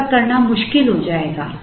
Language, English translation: Hindi, It will become difficult to do that